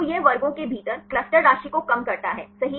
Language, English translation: Hindi, So, that it minimize the within cluster sum of squares right